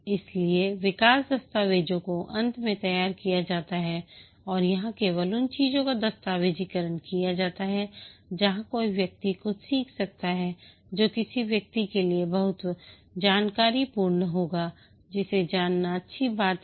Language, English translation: Hindi, So at the end of development documents are prepared and here only those things are documented where somebody can learn something which will be very informative to somebody which is good things to know